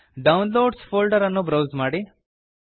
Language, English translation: Kannada, Browse to Downloads folder